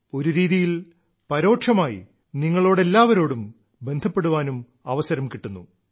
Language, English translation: Malayalam, In a way, indirectly, I get an opportunity to connect with you all